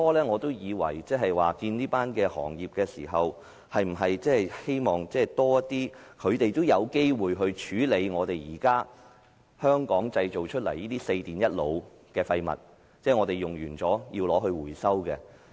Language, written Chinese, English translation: Cantonese, 我會見業界，是想知道他們是否希望能有多些機會處理香港現時製造出來的"四電一腦"的廢物，即我們用完後，他們回收。, I met with the industries because I wanted to know if they wished to have more opportunities of processing the waste produced in Hong Kong from the four categories of electrical equipment and one category of computer products now that means recovering them after we finish using them